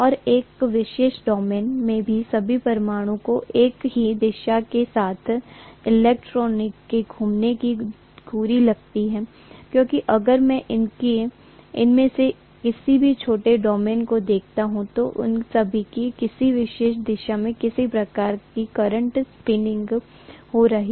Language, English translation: Hindi, And all that atoms in a particular domain seem to have the axis of the spinning of the electrons along the same direction, because of which if I look at any of these small domains, all of them are having some kind of current spinning in a particular direction